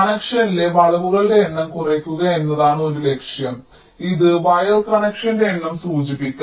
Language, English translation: Malayalam, so so one objective may be to reduce the number of bends in the connection, which may indicate number of wire connection